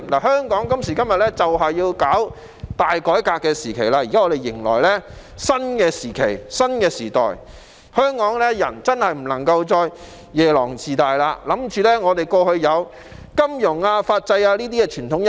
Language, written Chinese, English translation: Cantonese, 香港今時今日就是要進行大改革，現時迎來的是新時期、新時代，香港人真的不能再夜郎自大，恃着香港過去有金融、法制等傳統優勢。, Nowadays Hong Kong needs to embark on a great reform . We see the approach of a new phase and new era and Hong Kong people really cannot be too conceited relying only on the conventional strengths of our financial and legal systems